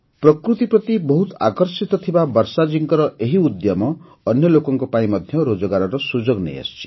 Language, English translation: Odia, This initiative of Varshaji, who is very fond of nature, has also brought employment opportunities for other people